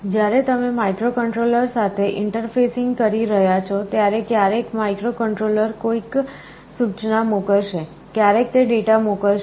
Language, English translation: Gujarati, When you are interfacing with the microcontroller, sometimes microcontroller will be sending an instruction; sometimes it will be sending a data